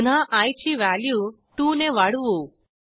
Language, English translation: Marathi, Again the value of i will be incremented by 2